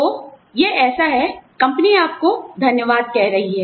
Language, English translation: Hindi, So, it is like, you know, the company is saying, thank you, to you